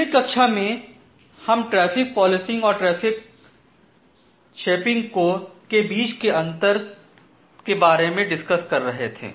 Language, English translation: Hindi, So, in the last class we were discussing about the difference between traffic policing and the traffic shaping